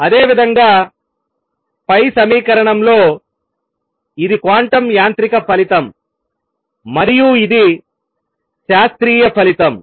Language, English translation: Telugu, Similarly in the equation above, this is a quantum mechanical result and this is a classical result